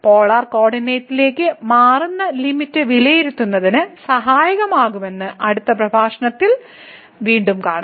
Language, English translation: Malayalam, So, one again we will see more in the next lecture that changing to the Polar coordinate is helpful for evaluating the limit